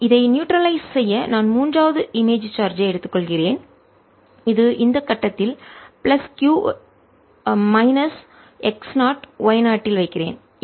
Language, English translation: Tamil, to neutralize this i take third image charge which i put at this point, which is plus q at minus x, zero y zero